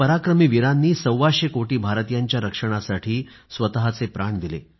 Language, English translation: Marathi, These brave hearts made the supreme sacrifice in securing the lives of a hundred & twenty five crore Indians